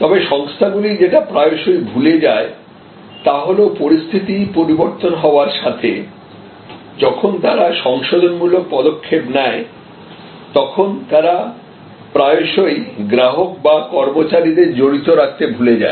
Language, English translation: Bengali, But, what organizations often forget to do that as situations evolve as they take corrective calibrating actions, they often forget to keep the customers or the employees involved